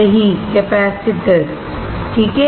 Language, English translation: Hindi, Right; capacitor, alright